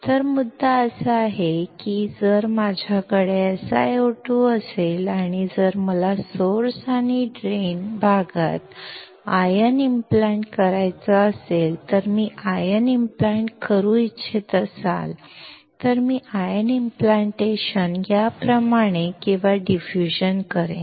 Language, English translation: Marathi, So, the point is that if I have SiO2 and if I want to diffuse or ion implant the source and drain region, then I will do the ion implantation like this or diffusion